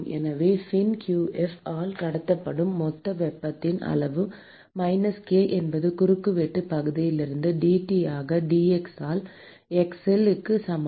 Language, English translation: Tamil, So, the total amount of heat that is transferred by the fin q f is minus k into cross sectional area into d T by d x at x equal to 0